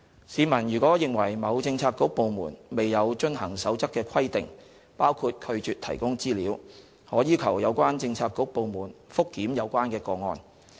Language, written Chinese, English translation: Cantonese, 市民如認為某政策局/部門未有遵行《守則》的規定包括拒絕提供資料，可要求有關政策局/部門覆檢有關個案。, If any member of the public believes that a bureaudepartment has failed to comply with any provision of the Code including refusal to disclose information heshe may ask the bureaudepartment to review the case